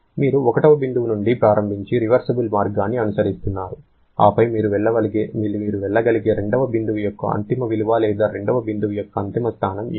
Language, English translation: Telugu, You are following a reversible path starting from point 1, then what is the ultimate value of point 2 or ultimate position of point 2 that you can go for